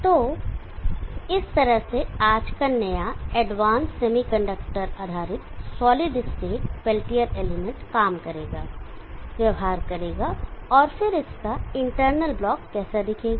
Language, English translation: Hindi, So this is how today’s new advanced semi conductor based solid state peltier element will operate, will behave and then how it is internal block look like